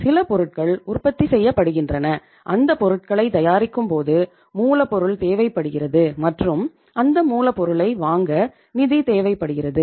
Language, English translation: Tamil, We are manufacturing some product and when we are manufacturing that product we need raw material and to buy the raw material you need to have funds